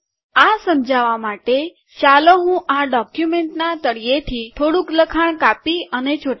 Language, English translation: Gujarati, To explain this, let me cut and paste some text from the bottom of this document